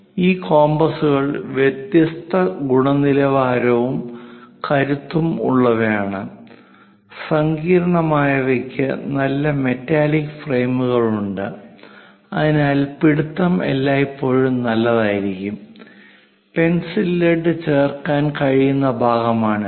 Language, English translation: Malayalam, This compasses are of different quality and also strength; the sophisticated ones have nice metallic frames so that the grip always be good, and this is the part where pencil lead can be inserted